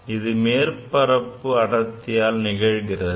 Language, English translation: Tamil, That is because of the surface tension